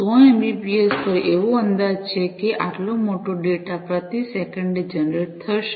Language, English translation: Gujarati, At 100 mbps roughly, it is estimated that this much of data is going to be generated per second